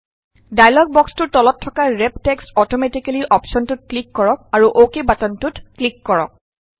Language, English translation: Assamese, At the bottom of the dialog box click on the Wrap text automatically option and then click on the OK button